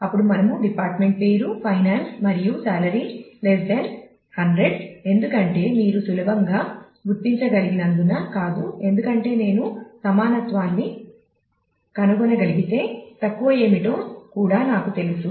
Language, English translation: Telugu, Then we can also easily handle queries like department name is finance and salary is less than 100; it is not because as you can easily figure out because if I can find the equality then I also know what is less